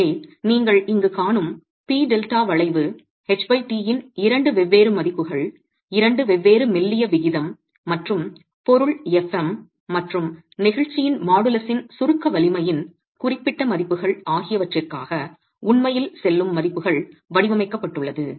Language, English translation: Tamil, So, the P delta curve that you see here, it's been worked out for two different values of H by T, two different slendinous ratio, and for specific values of compressive strength of the material, fM, and modellus of elasticity